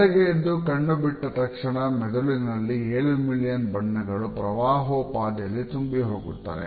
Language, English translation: Kannada, Moment you open your eyes in the morning, your brain is flooded with over seven million colors